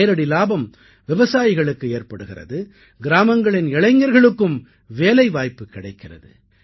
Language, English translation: Tamil, This directly benefits the farmers and the youth of the village are gainfully employed